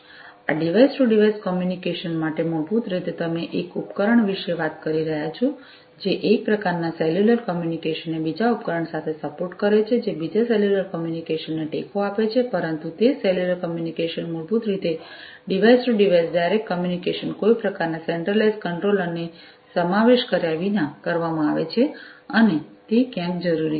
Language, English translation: Gujarati, Plus this device to device communication so, basically, you know, you are talking about one device supporting one type of cellular communication with another device supporting another cellular communication not another, but the same cellular communication basically device to device direct communication without involving some kind of a centralized controller is going to be performed and that is sometimes required